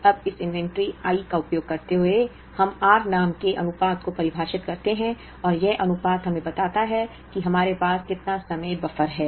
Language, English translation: Hindi, Now, using this inventory I, we define a ratio called r and this ratio tells us, the amount of time buffer that we have